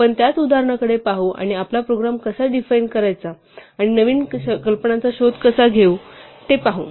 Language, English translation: Marathi, We will continue to look at the same example and see how to refine our program and explore new ideas